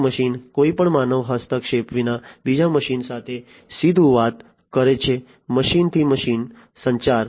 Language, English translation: Gujarati, One machine directly talking to another machine without any human intervention, machine to machine communication